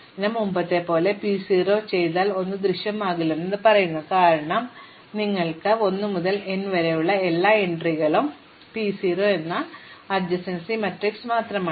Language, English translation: Malayalam, So, as before if you do P 0, it says nothing can appear, because you could have everything from 1 to n, therefore, P 0 is just the adjacency matrix